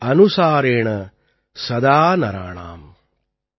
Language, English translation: Tamil, Bhaav Anusaaren Sadaa Naraanaam ||